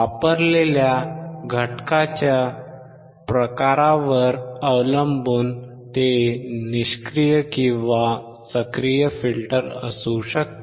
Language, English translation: Marathi, Depending on the element, it can be passive or active filter